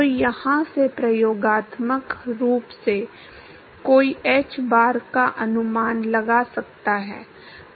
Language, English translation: Hindi, So, from here experimentally, one could estimate hbar